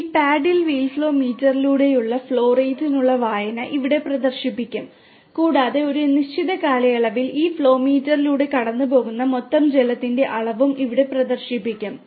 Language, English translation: Malayalam, The reading for the reading for the flow rate of the through this paddle wheel flow meter will be displayed here and also the total amount of water passing through this flow meter over a period of time will also be displayed here